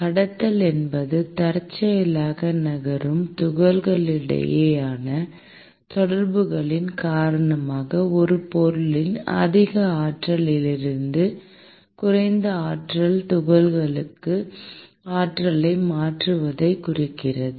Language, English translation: Tamil, Conduction refers to transfer of energy from the more energetic to the less energetic particles of a substance, due to interactions between the particles moving randomly